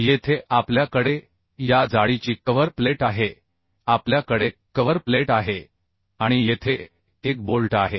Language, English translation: Marathi, Now, here we have cover plate of this thickness, we have cover plate and we have one bolt here, another bolt here